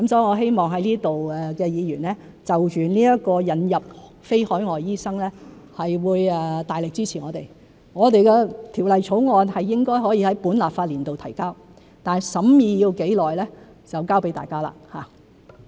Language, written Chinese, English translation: Cantonese, 我希望在此的議員就着引入非海外醫生會大力支持我們，我們的條例草案應該可以在本立法年度提交，但審議需時多久就交給大家。, I hope that Members present here will give us their strong support in respect of the admission of non - locally trained doctors . We should be able to introduce the bill in the current legislative session but how long the scrutiny will take rests with Members